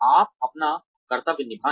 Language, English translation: Hindi, You perform your duties